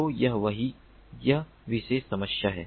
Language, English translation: Hindi, so this is what this is, this particular problem